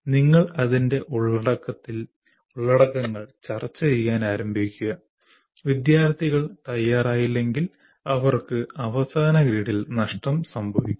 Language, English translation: Malayalam, You straight away start discussing the contents of that and if the students are not prepared they lose out in the final grade